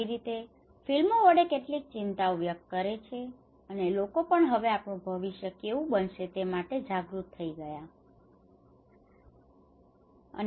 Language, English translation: Gujarati, In that way, these are some concerns through various films and people are also now becoming aware of what is going to be our future